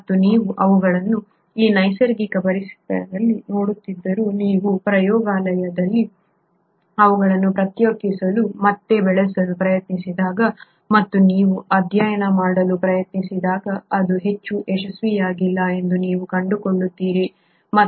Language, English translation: Kannada, And you find that although you see them in these natural environments, when you try to isolate and culture them in the lab and you try to then study it, it has not been very successful